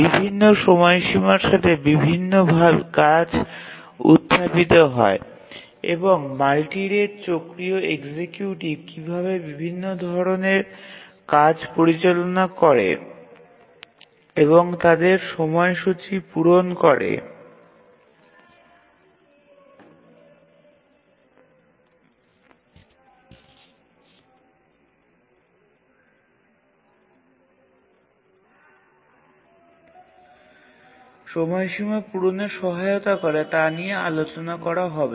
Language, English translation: Bengali, different tasks arise with different periods and we will discuss about the multi rate cyclic executive and how does it handle these different types of tasks and help to meet their deadline